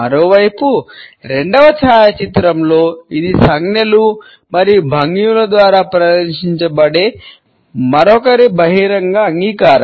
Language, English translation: Telugu, On the other hand, in the second photograph it is relatively an open acceptance of the other which is displayed through the gestures and postures